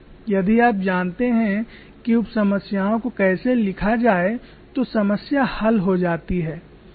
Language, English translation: Hindi, So once you know how to write sub problem, the problem is solved